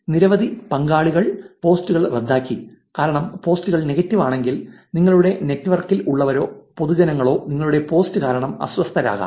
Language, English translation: Malayalam, Many participants canceled the posts, because, I think it is because if the posts are negative, and many people are going to be actually offended by the post within your network or in public, it is actually going to be bad for you